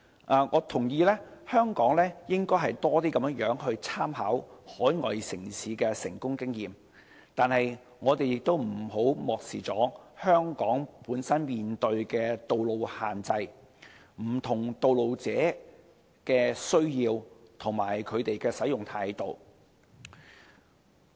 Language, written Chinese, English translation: Cantonese, 我認同香港應多參考海外城市的成功經驗，但我們亦不應漠視香港本身面對的道路限制、不同道路使用者的需要及他們的使用態度。, While I concur that Hong Kong should draw more on the successful experience of overseas cities we should not overlook the road constraints we face locally the needs of different road users and their attitude in road use